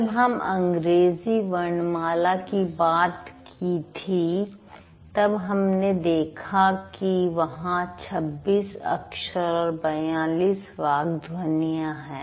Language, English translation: Hindi, I said English alphabet has 26 letters and these 26 letters correspond to 42 speech sounds, right